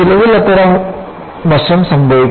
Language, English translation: Malayalam, Some, such aspect will happen